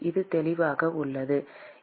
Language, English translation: Tamil, Is it clear